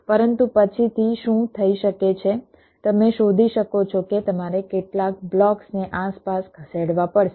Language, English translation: Gujarati, but what might happen later on is that you may find that you may have to move some blocks around